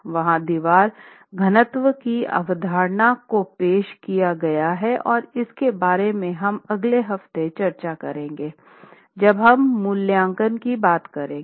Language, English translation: Hindi, A concept of wall density is introduced and this is something we will again speak about when we talk of assessment in the next week